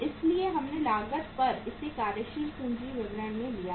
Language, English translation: Hindi, So we have taken in this working capital statement at cost